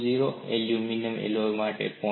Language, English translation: Gujarati, 20, aluminum alloy it is 0